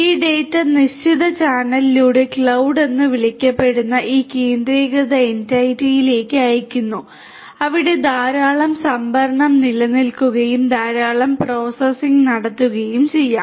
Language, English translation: Malayalam, These data are sent through this particular fixed channel to this centralized entity called the cloud where lot of storage is existing and lot of processing can be done